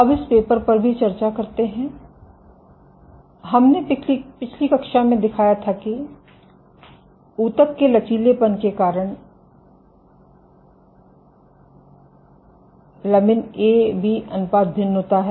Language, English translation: Hindi, Now also discuss this paper we last class there we showed that lamin A to B ratio varies, depending on tissue elasticity ok